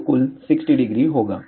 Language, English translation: Hindi, So, total 60 degree